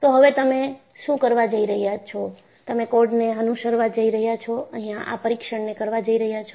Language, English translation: Gujarati, So, what you are going to do is, you are going to follow the code and perform this test